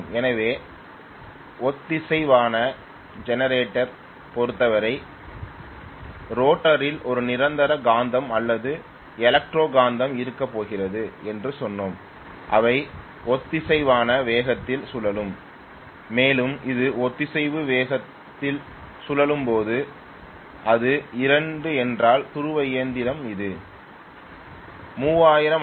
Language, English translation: Tamil, So in the case of synchronous generator we said basically that we are going to have either a permanent magnet or electro magnet in the rotor which will be rotated at synchronous speed and when it is being rotated at so called synchronous speed, if it is a 2 pole machine it will be 3000 RPM, if it is a 4 pole machine it will be 1500 RPM